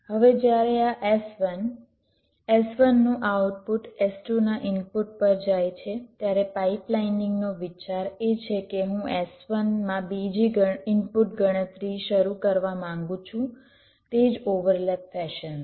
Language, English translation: Gujarati, now, when, when this s one output of s one goes to input of s two, the idea of pipelining is: i want to start the second input computation in s one in the same over lap fashion